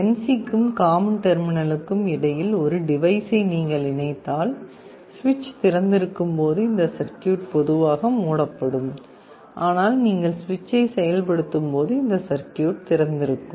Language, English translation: Tamil, If you connect a device between NC and common, then when the switch is open this circuit is normally closed, but when you activate the switch this circuit will be open